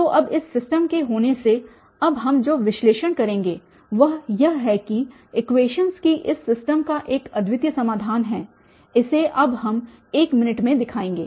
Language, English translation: Hindi, So, having this system now, what we will analyze now that this system of equations has a unique solution, this we will show now in a minute